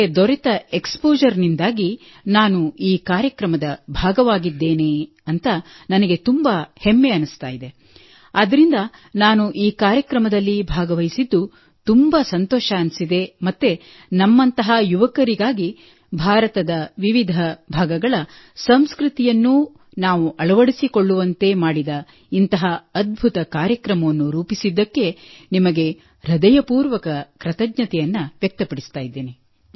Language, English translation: Kannada, with the exposure that I gained, I now feel very proud that I have been a part of this program, so I am very happy to have participated in that program and I express my gratitude to you from the core of my heart that you have made such a wonderful program for youths like us so that we can adapt to the culture of different regions of India